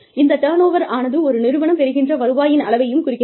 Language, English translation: Tamil, Turnover also, refers to the amount of revenue, generated by an organization